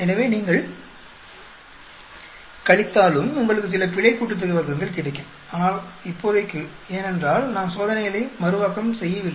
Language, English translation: Tamil, So, even if you subtract you will get some error degree of freedom, but as of now because we have not replicated the experiments